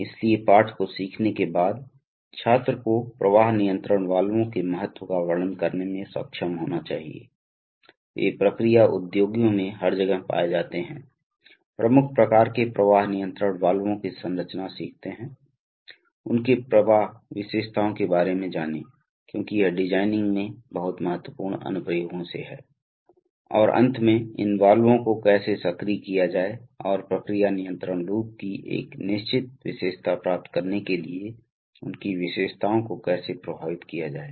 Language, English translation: Hindi, So after learning the lesson the student should be able to describe the importance of flow control valves, they are found everywhere in process industries, learn the structure of major types of flow control valves, learn about their flow characteristics because that is very important in designing the applications, and finally the, how to actuate these valves and how to affect their characteristics to achieve a certain characteristic of the process control loop